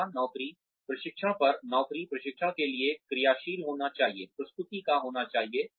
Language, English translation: Hindi, Location, on the job training, of the job training, should be hands on, should be of presentation